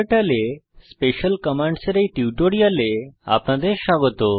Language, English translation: Bengali, Welcome to this tutorial on Special Commands in KTurtle